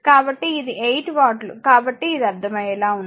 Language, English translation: Telugu, So, it is 8 watt so, it is understandable